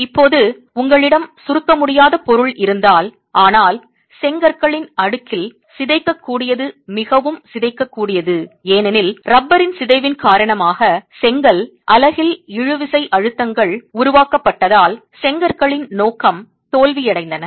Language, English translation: Tamil, Now when you have incompressible material but deformable, highly deformable, in the stack of bricks, the bricks failed in tension because tensile stresses were developed in the brick unit because of the deformation of the rubber